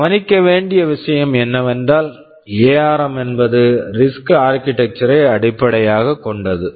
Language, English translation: Tamil, So, ARM is based on the RISC architecture